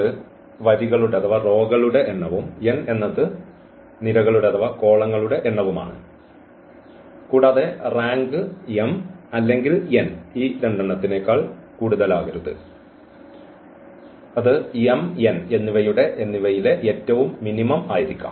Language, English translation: Malayalam, So, m is the number of rows and number of columns, and the rank cannot be greater than m or n it has to be the less than the minimum of m and n